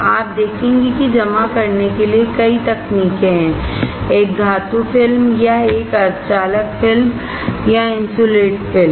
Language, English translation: Hindi, You will see there are several techniques to deposit a metal film or a semiconductor film or insulating film